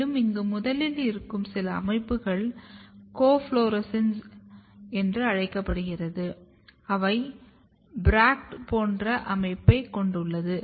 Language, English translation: Tamil, And here the first few structures which you look like here, here they are called coflorescence; they bears a bract like structure